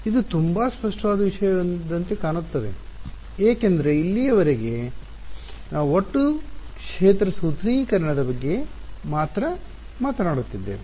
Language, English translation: Kannada, This will look like a very obvious thing because so far we have been only talking about total field formulation